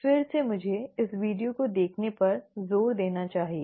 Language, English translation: Hindi, Again let me emphasize the watching of this video